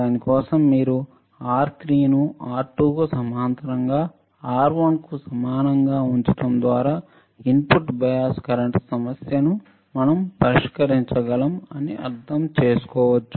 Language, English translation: Telugu, For you directly you can understand just by keeping the R3 equals to R1 parallel to R2, we can solve the we can solve the issue of input bias current easy super easy right